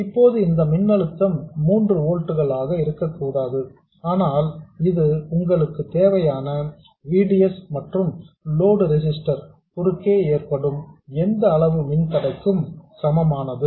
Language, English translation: Tamil, Now, this voltage should not be 3 volts, but it is equal to whatever VDS you need plus whatever drop you have across the load resistor